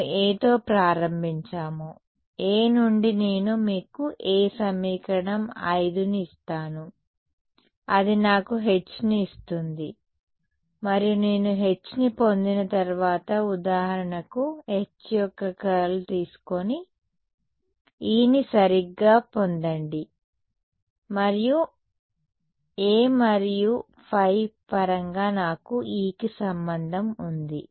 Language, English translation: Telugu, We started with A, from A I have supposing I give you A I have equation 5 which gives me H and once I get H I can for example, take curl of H and get E right and I also have a relation for E in terms of A and phi right